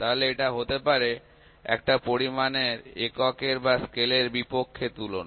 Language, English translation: Bengali, So, it might be the comparison of a quantity against the unit or scale for that quantity